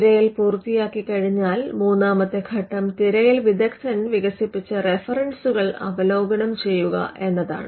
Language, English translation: Malayalam, Once the search is done, the third step would be to review the references developed by the searcher